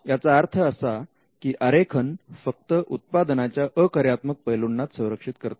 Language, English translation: Marathi, So, design only protects non functional aspects of a product